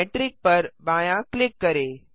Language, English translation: Hindi, Left click Metric